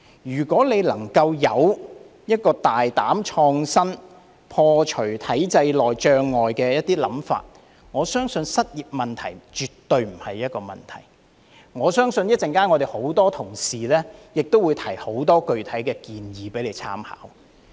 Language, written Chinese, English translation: Cantonese, 如果局長能夠有一個大膽創新、破除體制內障礙的想法，我相信失業問題絕對不是一個問題，我相信很多同事稍後亦會提出很多具體的建議供他參考。, If the Secretary can think boldly and innovatively to break down the barriers in the system I believe that unemployment definitely will not be a problem . I believe many colleagues will also put forth lots of specific proposals later for the Secretarys reference . Deputy President I will stop here for the time being